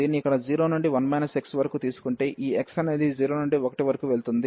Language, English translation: Telugu, So, taking this one here 0 to 1 minus x, and this x goes from 0 to 1